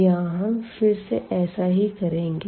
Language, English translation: Hindi, So, we will do the same